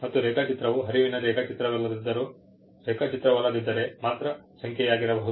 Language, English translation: Kannada, The drawing can only be number unless it is a flow diagram